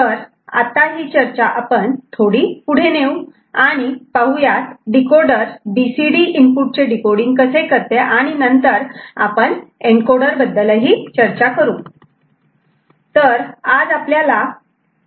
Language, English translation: Marathi, Now, we extend the discussion from there where we started the understanding how decoder works to decoding for BCD input and then we shall discuss encoder